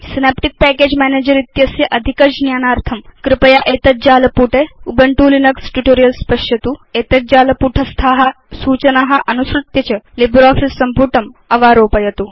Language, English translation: Sanskrit, For more information on SynapticPackage Manager, please refer to the Ubuntu Linux Tutorials on this website And download LibreOffice Suite by following the instructions on this website